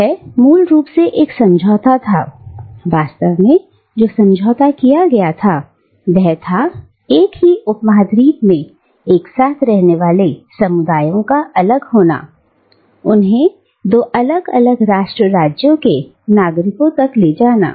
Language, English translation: Hindi, And, it was basically a pact what the pact actually meant was a carving up of the communities living together in the subcontinent for ages, carving them up into citizens of two distinct nation states